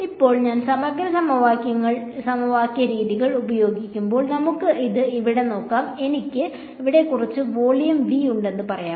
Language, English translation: Malayalam, Now when I use integral equation methods; let us look at this over here, and let us say I have some volume v over here ok